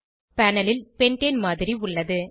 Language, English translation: Tamil, This is a model of pentane on the panel